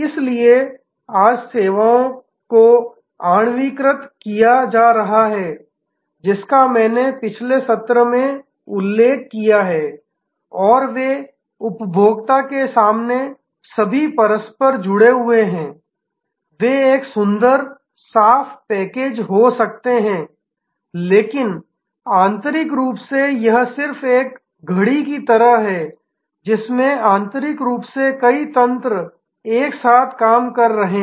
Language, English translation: Hindi, So, services today therefore, are getting molecularized which I mentioned in the previous session and they are getting all interconnected to the consumer in front they may be a lovely neat package, but internally it is just like a watch internally has many mechanisms all working together